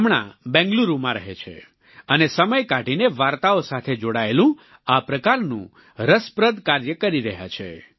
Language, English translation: Gujarati, Presently, he lives in Bengaluru and takes time out to pursue an interesting activity such as this, based on storytelling